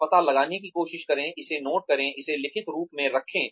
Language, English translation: Hindi, Try to find out, note it down, put it down in writing